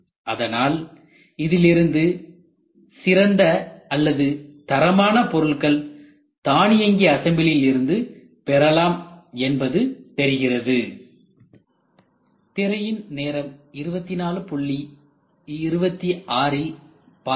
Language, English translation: Tamil, So, if you look at this the best part or quality parts are got from automatic assembly only